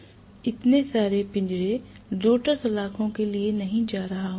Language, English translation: Hindi, I am not going to have so many cage rotor bars